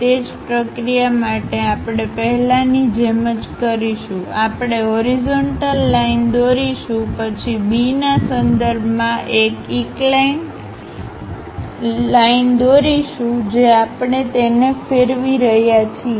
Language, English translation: Gujarati, For that the same procedure we will follow first we will draw a horizontal line, then draw an incline line with respect to B we are rotating it